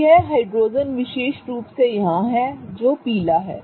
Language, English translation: Hindi, Okay, so this is the particular hydrogen here, the yellow one